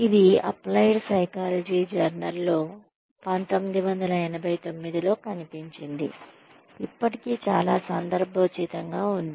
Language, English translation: Telugu, It appeared in the journal of applied psychology, in 1989, still very relevant